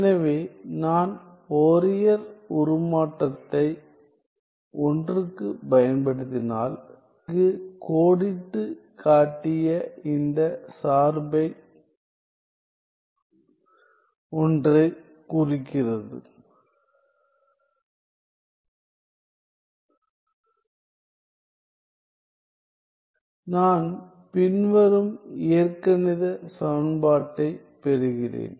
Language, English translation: Tamil, So, if I apply Fourier transform to 1; so, one implying this equation that I have outlined here, I get the following algebraic equation